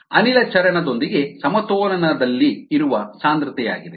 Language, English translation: Kannada, this is the concentration that is in equilibrium with the gas phase